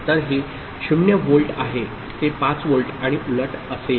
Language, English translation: Marathi, So, this is 0 volt, it will be 5 volt and vice versa